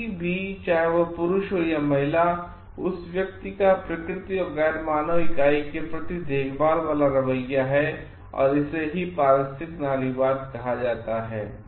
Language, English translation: Hindi, Anyone, whether male or female if that person has a caring attitude towards the nature and the non human entity, then it is called ecofeminism